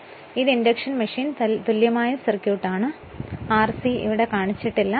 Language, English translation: Malayalam, So, this is your what you call induction machine equivalent circuit, but r c is not shown here we will show it